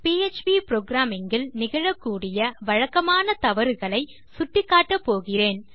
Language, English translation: Tamil, I will go through some of the common errors you might encounter when you are programming in PHP